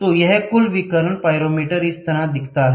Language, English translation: Hindi, So, this is what it is Total Radiation Pyrometers looks like this